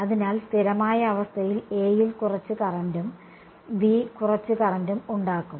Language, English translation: Malayalam, So, in the steady state there is going to be some current in A and some current in B right